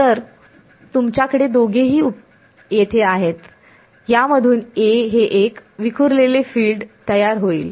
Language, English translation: Marathi, So, you have both of them over here, this current in turn is going to produce a scattered field